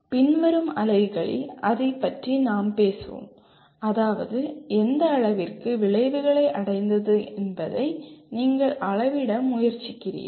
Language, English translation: Tamil, We will talk about that in later units that is you try to measure to what extent outcomes have been attained